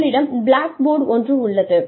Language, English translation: Tamil, You have something called as blackboard